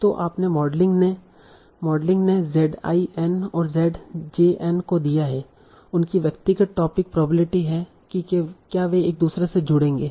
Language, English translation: Hindi, So what we are modeling, given the Z, I andj n, their individual topic probabilities, whether they will link to each other